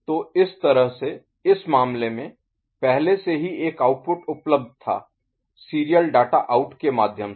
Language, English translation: Hindi, So, this way in this case since already one of the output was available, accessible through serial data out ok